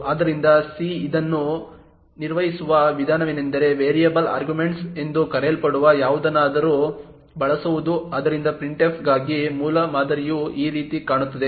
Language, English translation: Kannada, So, the way c handles this is by using something known as variable arguments, so the prototype for printf looks something like this